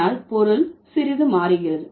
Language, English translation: Tamil, So, the meaning changes substantially